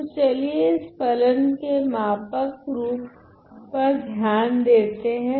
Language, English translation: Hindi, So, then let us considers a scaled version of this function